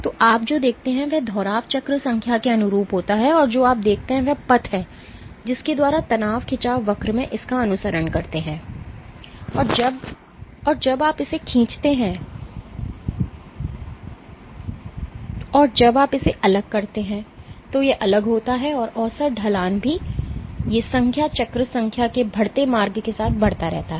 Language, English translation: Hindi, So, what you see is so the repetition is corresponds to the cycle number and what you see is the path by which it follows in the stress strain curve when you exert when you stretch it and when you relax it is different and also the average slopes of these lines keeps on increasing with the increasing passage of cycle number